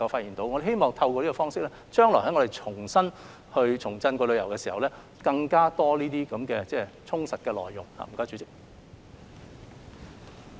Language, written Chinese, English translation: Cantonese, 因此，我們希望透過這個方式，待將來旅遊業重振之時，能有更多充實的內容。, For that reason we hope that we can provide a more inspirational experience to visitors through this approach when revival of the tourism industry comes